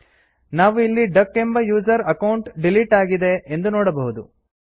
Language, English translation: Kannada, We will find that, the user account duck has been deleted